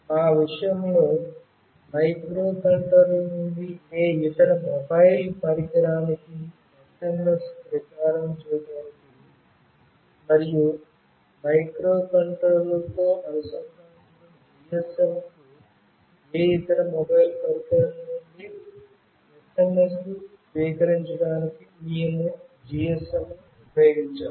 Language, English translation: Telugu, In our case, we have used GSM for transmitting SMS from the microcontroller to any other mobile device, and to receive the SMS from any other mobile device to the GSM that is connected with the microcontroller